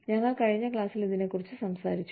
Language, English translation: Malayalam, Which is what, we talked about, in the previous class